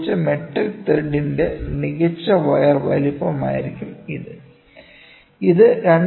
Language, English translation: Malayalam, This will be the size of the best wire of a metric thread used, ok